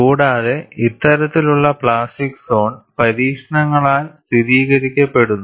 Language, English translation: Malayalam, And this type of plastic zone is corroborated by experiments